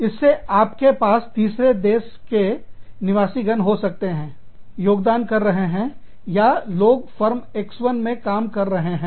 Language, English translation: Hindi, Similarly, in the third country nationals, you could have people, contributing to, or people working in, Firm X1